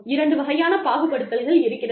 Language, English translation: Tamil, Two types of discrimination, that exist